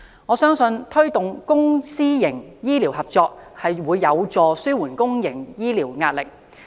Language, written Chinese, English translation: Cantonese, 我相信，推動公私營醫療合作將有助紓緩公營醫療的壓力。, I believe that public - private healthcare partnership can help ease the pressure on the public healthcare system